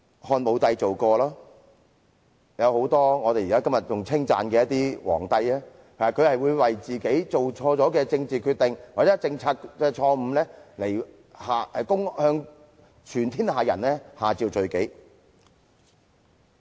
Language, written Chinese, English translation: Cantonese, 漢武帝做過，很多今時今日受人稱讚的帝皇，也曾為自己做錯的政治決定或錯誤政策向天下人下詔罪己。, Emperor Wudi of Han did so and many emperors widely lauded today also issued such edicts to all people of the land for their erroneous political decisions and policies